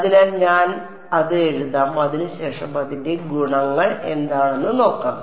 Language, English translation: Malayalam, So, I will write it out and then we will see what its properties are